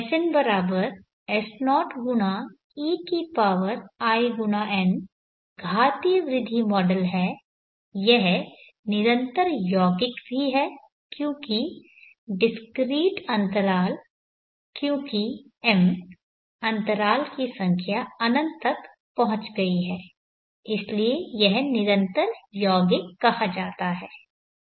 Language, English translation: Hindi, Therefore I can write it as s0 x ein is the exponential growth model, it is also continuous compounding because discrete intervals because number of intervals as tended to infinity, so it is called continuous compounding